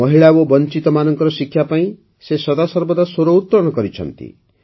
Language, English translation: Odia, She always raised her voice strongly for the education of women and the underprivileged